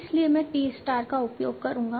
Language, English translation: Hindi, So I'll use T